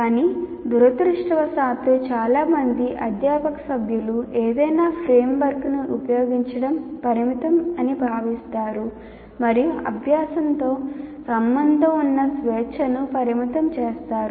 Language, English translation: Telugu, Many faculty members feel use of any framework is restrictive and restricts freedom that should be associated with learning